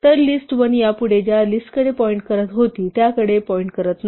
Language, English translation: Marathi, So, list1 is no longer pointing to the list it was originally pointing to